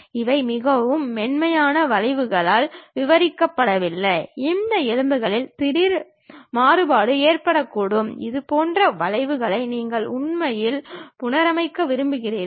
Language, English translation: Tamil, These are not just described by very smooth curves, there might be sudden variation happens on these bones, you want to really reconstruct such kind of objects